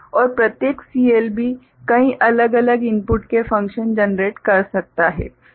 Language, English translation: Hindi, And each CLB can generate functions of many different inputs right each CLB ok